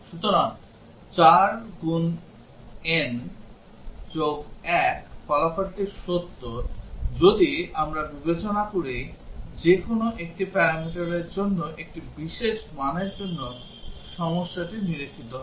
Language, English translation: Bengali, So the 4 n plus 1 result is true, if we consider that for a special value for one of the parameter the problem will be observed